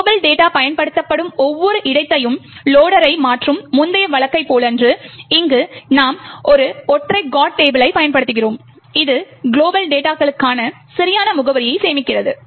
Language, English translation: Tamil, Unlike, the previous case where the loader goes on changing each and every location where the global data is used, here we are using a single GOT table which stores the correct address for the global data